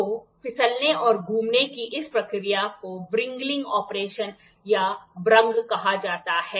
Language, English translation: Hindi, So, this process of sliding and rotating is called as wringing operation or wrung